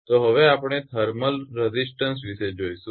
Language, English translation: Gujarati, So next we will come to the thermal resistances right